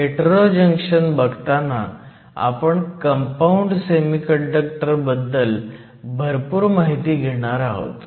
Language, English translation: Marathi, And when we come to hetero junctions, we will talk a lot about compound semiconductors